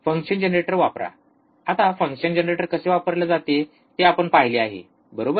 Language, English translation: Marathi, Use function generator, now function generator we have seen how function generator is used, right